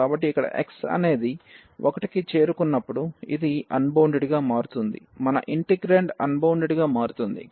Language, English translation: Telugu, So, here when x approaching to 1 this is becoming unbounded our integrand is becoming unbounded